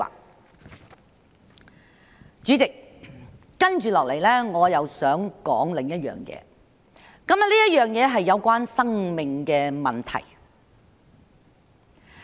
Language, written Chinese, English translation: Cantonese, 代理主席，接下來我想說另一件事，這件事是關於生命的問題。, Deputy President next I want to talk about another matter which is about life